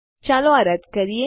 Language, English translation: Gujarati, Lets get rid of this